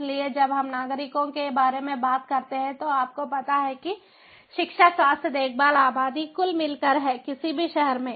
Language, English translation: Hindi, so when we talk about the citizens, you know education, health care, population overall is at the core of the in of any city